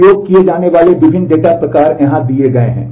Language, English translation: Hindi, The different data types that are used are given here